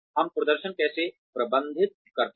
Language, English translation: Hindi, How do we manage performance